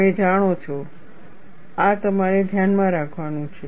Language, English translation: Gujarati, You know, this is what you have to keep in mind